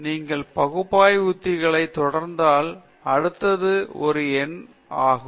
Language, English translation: Tamil, So, if you proceed from analytical techniques, the next will be a